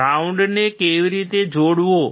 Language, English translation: Gujarati, How to connect the ground